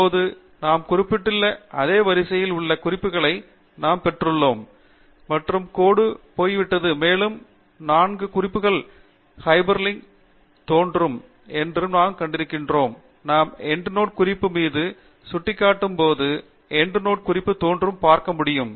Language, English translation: Tamil, Now, you can see that we have got the references lined up in the same sequence as we have referred, and the line is gone, and we have seen that the four references are also appearing as hyperlinks; you can see the Endnote Reference appearing whenever we hover the mouse over the Endnote Reference